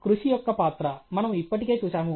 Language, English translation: Telugu, Role of hard work we have already seen